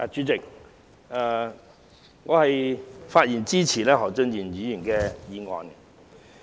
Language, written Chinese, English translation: Cantonese, 主席，我發言支持何俊賢議員的議案。, President I rise to speak in support of the motion moved by Mr Steven HO